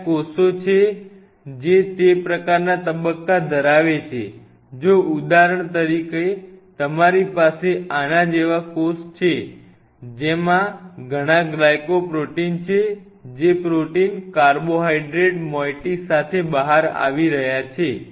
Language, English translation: Gujarati, There are cells which have those kinds of phase if for example, you have a cell like this, which has lot of glycoproteins which are coming out like reporting means protein with a carbohydrate moiety